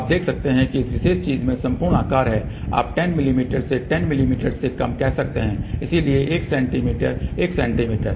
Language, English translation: Hindi, You can see that at this particular thing the entire size is you can say less than 10 mm by 10 mm, so 1 centimeter by 1 centimeter